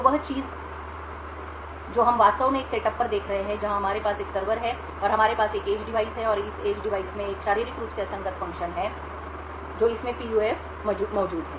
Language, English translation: Hindi, So the thing what we will be actually looking at a setup where we have a server over here and we have an edge device and this edge device has a physically unclonable function that is PUF present in it